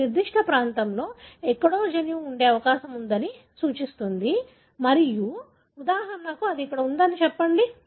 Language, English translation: Telugu, That suggest likely that the gene is present somewhere in this particular region, say for example it is present here